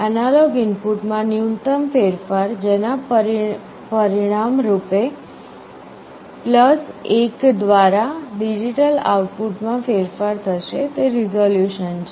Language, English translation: Gujarati, The minimum change in the analog input which will result in a change in the digital output by +1 is resolution